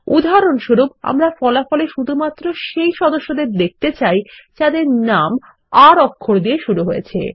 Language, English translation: Bengali, For example, we can limit the result set to only those members, whose name starts with the alphabet R